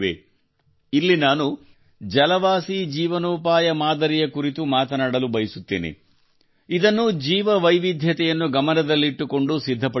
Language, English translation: Kannada, Here I would like to discuss the 'Jalaj Ajeevika Model', which has been prepared keeping Biodiversity in mind